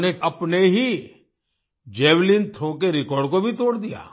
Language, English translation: Hindi, Not only that, He also broke the record of his own Javelin Throw